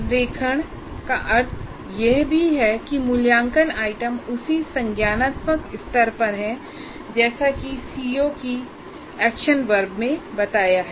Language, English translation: Hindi, Or in another way, alignment means the assessment items are at the same cognitive level as represented by the action verb of the C O statement